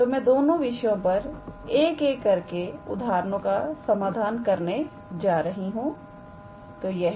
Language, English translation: Hindi, So, I am trying to solve examples on both of these two topics one by one